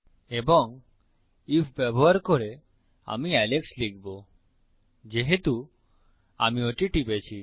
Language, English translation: Bengali, And using an if, Ill type in Alex, since I clicked that